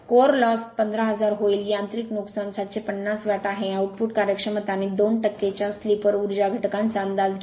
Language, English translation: Marathi, The core loss will 15000 watt the mechanical loss is 750 watt, estimate the output efficiency and power factor at a slip of 2 percent this is the problem